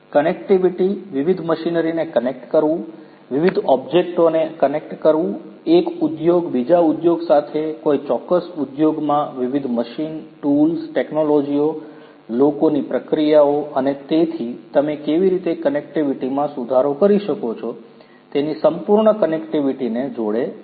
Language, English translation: Gujarati, Connectivity – connecting the different machinery, connecting the different objects, one industry with another industry within a particular industry connecting different different machines, tools, technologies, people processes and so on full connectivity how you can improve the connectivity